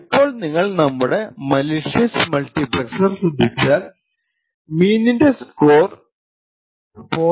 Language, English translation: Malayalam, Now if you actually look at our malicious multiplexer what we see is that the mean has a score of 0